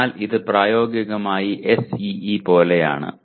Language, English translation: Malayalam, So it is practically like SEE